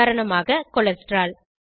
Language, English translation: Tamil, For example cholesterol